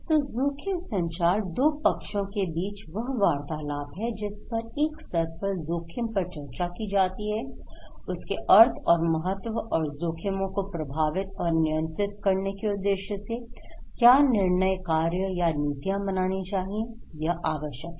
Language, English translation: Hindi, So, risk communications is the content between two parties about discussing one is the level of the risk, okay and the significance and the meaning of risk and also it is about the decisions, actions and policies aimed at managing and controlling the risk